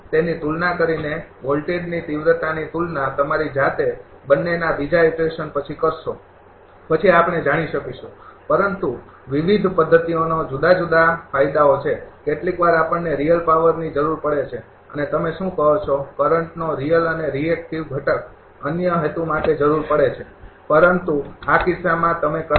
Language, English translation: Gujarati, Compared to it will compare the voltage magnitude yourself after second iteration of both then will know, but different methods I have different advantage advantages, sometimes we need real power and your what to call real and reactive component of the current also for some other purpose